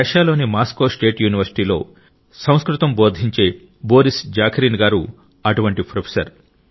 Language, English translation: Telugu, Another such professor is Shriman Boris Zakharin, who teaches Sanskrit at Moscow State University in Russia